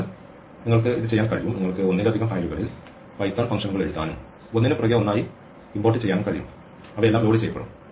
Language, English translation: Malayalam, So, you can do this, you can write python functions in multiple files and import them one after the other and they will all get loaded